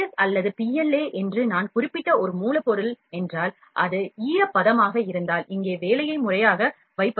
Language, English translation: Tamil, If a raw material that is what that I mentioned ABS or PLA, if it is moisturizes then it obstructs the proper deposition of the job here